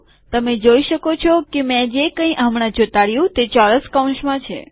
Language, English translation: Gujarati, You can see that whatever I have pasted now is within square brackets